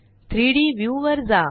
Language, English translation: Marathi, Go to the 3D view